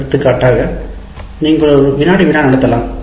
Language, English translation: Tamil, And the easiest one, for example, you can conduct a quiz